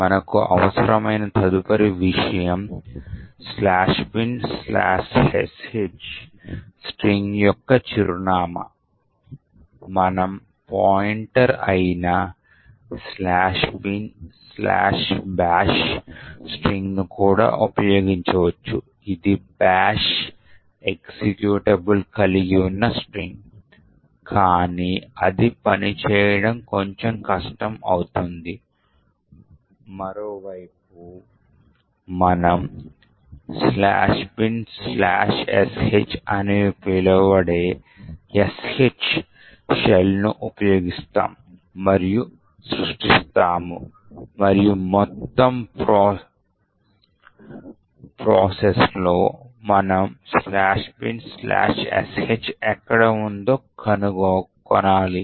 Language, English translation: Telugu, okay the next thing we need is the address of the string /bin/sh, we could also use the string/bin/bash which is a pointer, which is a string comprising of the bash executable but making it work that we would be a little more difficult, on the other hand we actually use and create a SH shell that is /bin/sh and we need to find somewhere in the entire process, where /bin/sh is present, so we do is we try to search in the various paths of this process memory